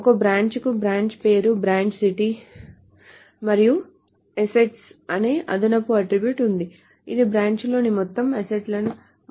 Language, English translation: Telugu, So a branch has a branch name, branch city and an additional attribute called assets, which is the total amount of all the assets in the branch